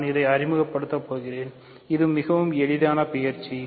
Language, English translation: Tamil, So, I am going to introduce, this is a fairly easy exercise